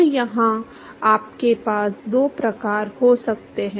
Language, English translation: Hindi, So, here you can have two types